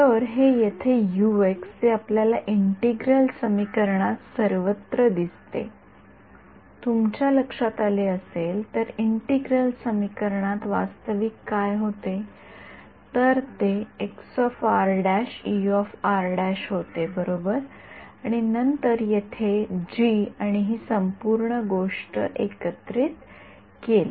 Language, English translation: Marathi, So, this U into x over here that appears everywhere if you notice in the integral equation what was the actual thing, it was chi r prime E of r prime right, and then the G over here and this whole thing was integrated